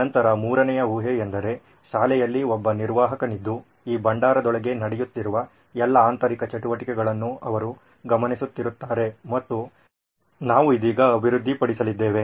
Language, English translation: Kannada, Then three is, assumption three is that there is an admin in the school who will be monitoring all the activities that would be happening inside this repository what we are going to develop right now